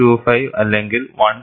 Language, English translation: Malayalam, 025 w or 1